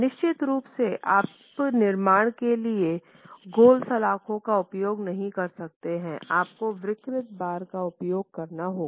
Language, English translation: Hindi, And of course you can't use rounded bars, you have to use deformed bars for construction